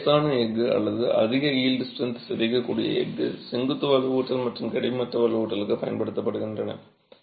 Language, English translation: Tamil, Typically, mild steel or high yield strength deformable steel are used both for vertical reinforcement and horizontal reinforcement